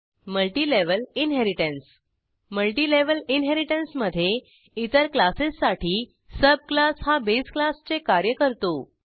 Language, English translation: Marathi, Multilevel inheritance In Multilevel inheritance the subclass acts as the base class for other classes